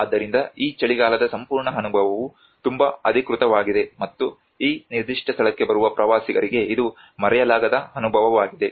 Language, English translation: Kannada, So that is how this whole winter experience is and very authentic, and it is unforgettable experience for the tourists who come to this particular place